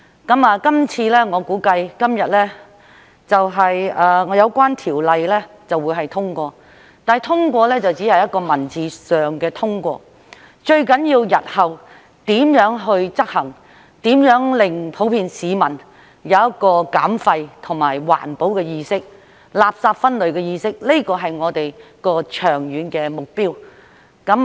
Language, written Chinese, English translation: Cantonese, 這次我估計今天有關條例會獲得通過，但通過只是文字上的通過，最重要的是日後如何執行，如何令普遍市民有減廢和環保的意識、垃圾分類的意識，這是我們的長遠目標。, This time I guess the Bill will be passed today but its passage is merely at the textual level . The most important thing is how to implement it in the future and how to build public awareness in waste reduction environmental protection and waste separation which is our long - term goal